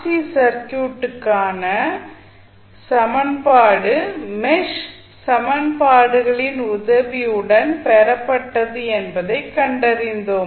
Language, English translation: Tamil, And we found that the equation for the RC circuit which we are seeing in the figure was was derived with the help of mesh equations